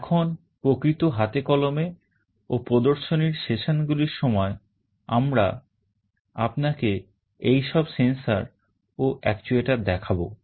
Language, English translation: Bengali, Now during the actual hands on and demonstration sessions, we shall be showing you all these sensors and actuators in use